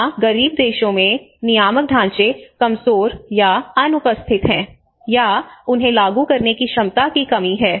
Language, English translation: Hindi, Here in poorer countries, the regulatory frameworks are weak or absent, or the capacity to enforce them is lacking